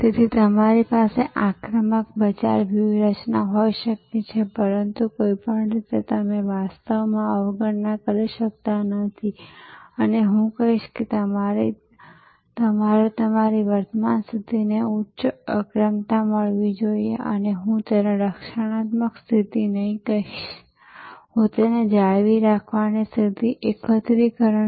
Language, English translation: Gujarati, So, you may have an offensive aggressive market strategy, but in no way you can actually neglect and I would say you must get higher priority to your current position and I would not call it defensive position, I would rather call it retention position, consolidation position which is very important for your strategic thinking